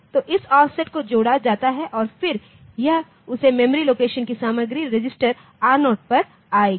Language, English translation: Hindi, So, this offset is added and then this is content of that memory location will come to the register R0